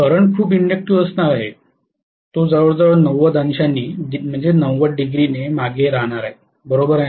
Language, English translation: Marathi, The current is going to be highly inductive, it is going to be almost lagging behind by 90 degrees, am I right